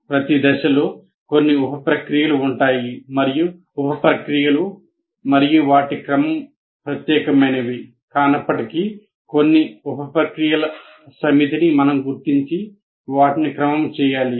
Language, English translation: Telugu, Every phase will have some sub processes and though this the sub processes and their sequence is not anything unique, but some set of sub processes we have to identify and also sequence them